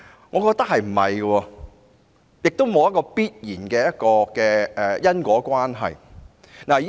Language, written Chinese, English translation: Cantonese, 我認為不會，兩者亦沒有必然的因果關係。, I do not think so . There is no absolute causal relationship between the two either